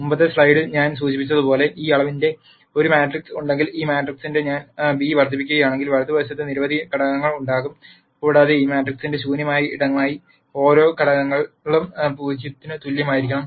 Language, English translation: Malayalam, As I mentioned in the previous slide, if I have this matrix of this dimension and if I multiply beta with this matrix,then on the right hand side there are going to be several elements and for beta to be the null space of this matrix every one of the elements has to be equal to 0